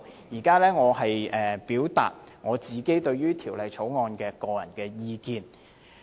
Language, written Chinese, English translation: Cantonese, 現在我表達對《條例草案》的個人意見。, I will now express my personal views on the Bill